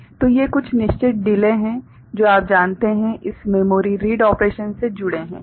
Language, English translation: Hindi, So, these are certain delays associated with you know, this memory read operation ok